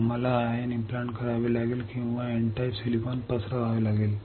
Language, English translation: Marathi, We have to ion implant or diffuse N type silicon